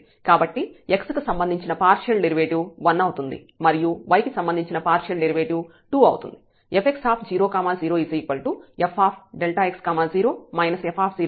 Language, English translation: Telugu, So, the partial derivative with respect to x is 1 and the partial derivative with respect to y is 2